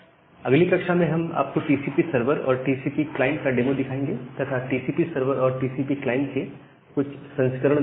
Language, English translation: Hindi, So, in the next class, we will show you the demo about the TCP server, TCP client and some variants of TCP server and the TCP client